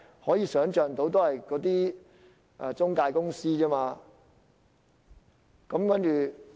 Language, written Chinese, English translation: Cantonese, 可以想象，只是那些職業介紹所。, We can surmise only employment agencies would do so